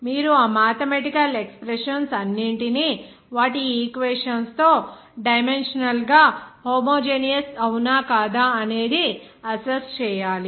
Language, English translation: Telugu, You have to assess all those mathematical expressions by equations with their equations are dimensionally homogeneous or not